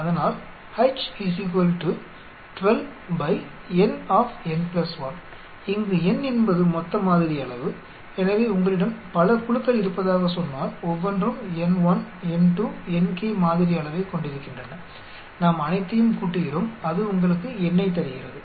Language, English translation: Tamil, So, where N is the total sample size, so if you have a say many groups each one having n1, n2, nk sample size we add up all that gives you N